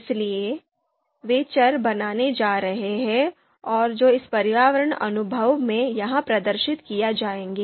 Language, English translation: Hindi, So those variables are going to be created and would be displayed here in this environment section